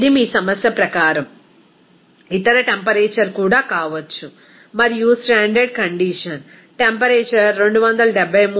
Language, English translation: Telugu, It may be other temperature also according to your problem and standard condition temperature is 273